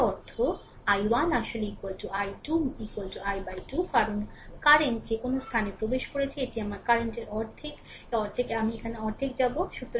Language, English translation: Bengali, That means i 1 actually is equal to i 2 is equal to i by 2, because whatever current is entering at this point, it will half of the current of half of I will go here half of I will go here